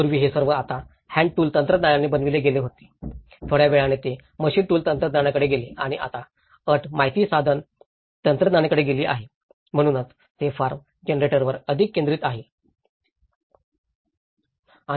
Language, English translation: Marathi, Earlier, it was all made with the hand tool technologies now, after some time they moved on to the machine tool technology and now, the condition have moved to the information tool technology so, it is focused more on the form generation